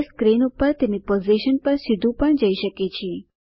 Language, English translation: Gujarati, It can also jump directly to a position on the screen